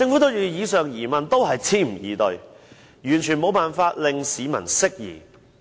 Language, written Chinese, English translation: Cantonese, 對於以上疑問，政府只是支吾以對，完全無法令市民釋疑。, To the above queries the Government just prevaricated in its reply utterly unable to allay public worries